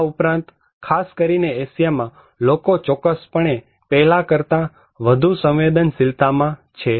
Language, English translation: Gujarati, Also, in particularly in Asia is, of course, making people more vulnerable than before that is for sure